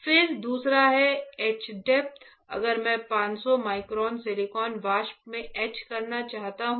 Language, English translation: Hindi, Then second is etch depth right; if I want to etch for let say out of 500 micron silicon vapor